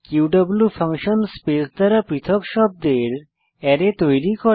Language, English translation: Bengali, qw function creates an Array of words separated by space